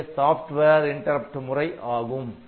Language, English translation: Tamil, So, that is about the software interrupt